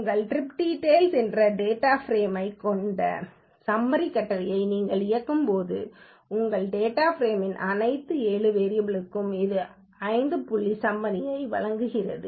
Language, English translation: Tamil, When you execute the summary command on your data frame trip details, it will give you 5 point summary for all the 7 variables of your data frame